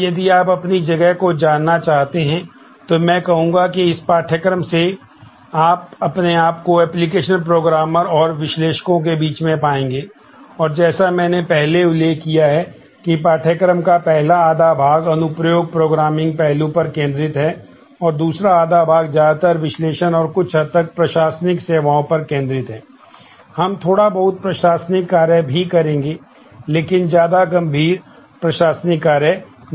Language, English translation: Hindi, So, if you would like to know your positions then I would say that by this course, you are going to position yourself amongst the application programmers and the analysts and as I mentioned that the first half of the course is focused on application programming aspect and the second half would be more focused on the analysis and some of the administrative will do little bit of administration, but not nearly serious administration tasks